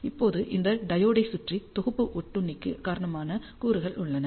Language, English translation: Tamil, Now, around this diode what you see are the components which account for the package parasitic